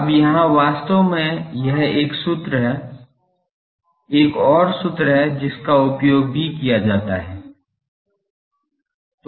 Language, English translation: Hindi, Now, here actually this is one formula, another formula is there which also is used